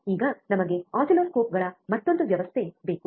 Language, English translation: Kannada, So now, we need another system which is oscilloscopes